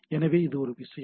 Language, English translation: Tamil, So, there is one thing